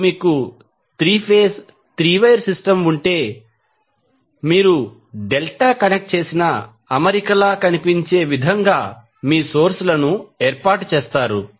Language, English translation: Telugu, Now, if you have 3 phase 3 wire system, you will arrange the sources in such a way that It is looking like a delta connected arrangement